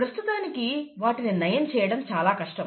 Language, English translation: Telugu, It is rather difficult to cure them as yet